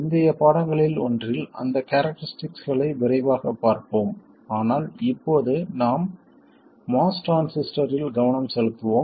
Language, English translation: Tamil, In one of the later lessons we will quickly look at those characteristics but now we will concentrate on the MOS transistor